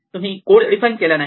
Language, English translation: Marathi, So, we have not defined it in the code